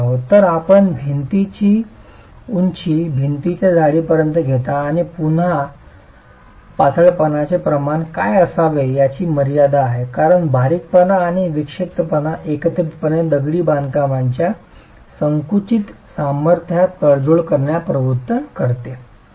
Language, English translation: Marathi, So, you take the height of the wall to the thickness of the wall and again there are limits on what should be the slenderness ratio because slenderness and eccentricity of loading together is going to lead to a compromise in the compression strength of the masonry